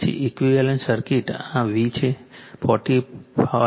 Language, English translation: Gujarati, Then the equivalent circuit is this V 45